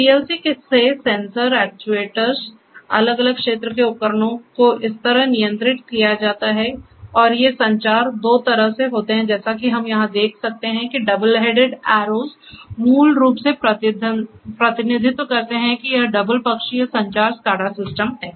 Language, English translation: Hindi, From the PLC the sensors, actuators, the different field devices are controlled like this and so on and these communications are two way communication as we can see over here the double headed arrows basically represent the that there is you know double sided communication SCADA systems